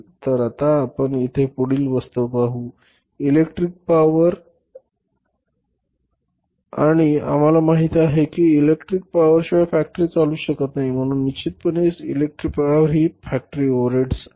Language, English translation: Marathi, So now we will see that the next item here is the electric power and we know that without electric power factory can not run so certainly electric power is the factory overheads